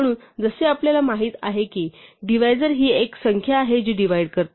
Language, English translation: Marathi, So, as we know a divisor is a number that divides